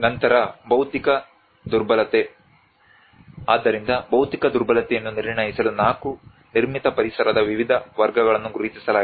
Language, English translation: Kannada, Then the physical vulnerability so there is a for assessing the physical vulnerability 4 different classes of the built environment or identified